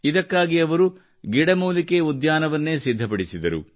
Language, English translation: Kannada, For this he went to the extent of creating a herbal garden